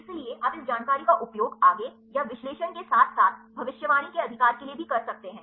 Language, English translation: Hindi, So, you can use this information for the further or analysis as well as for the prediction right